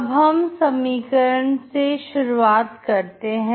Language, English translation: Hindi, So we will start with the equation